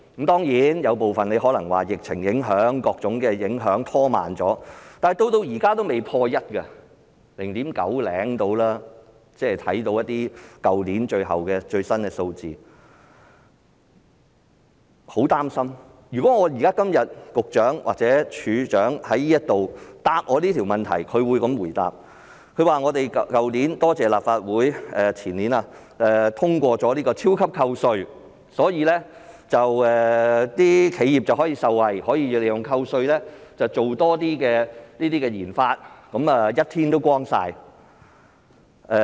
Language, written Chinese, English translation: Cantonese, 當然，有部分可能是因為疫情影響或各種影響拖慢了，但到現在都未破 1， 大約 0.9 多一點而已，即看到去年一些最新數字，令我很擔心，如果今天局長或署長在立法會回答我這個問題，他會這樣回答：感謝立法會，前年通過了"超級扣稅"，所以企業可以受惠，可以利用扣稅進行多些研發，問題便解決了。, It is of course a fact that due to the impacts of the current epidemic or other reasons we have experienced some delay in this respect but the percentage has so far not yet risen to over 1 % and has remained at something above 0.9 % only . The latest figures last year do worry me a lot . If I raise a question about this in this Council today the Secretary or the Commissioner for Innovation and Technology will give me an answer like this We wish to express our gratitude to the Legislative Council for endorsing the proposal of introducing the super tax concession in the year before last and this has helped to resolve the problem by benefiting enterprises which can in turn invest more in research and development with the money saved from tax reduction